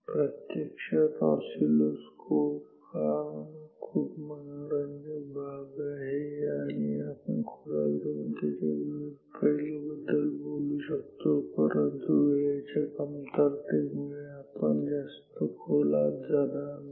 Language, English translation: Marathi, Actually, oscilloscope is a very interesting topic and we can go deep and talk about lot of different aspects of it, but due to the time limitation we will not go further deeper into CRT oscilloscopes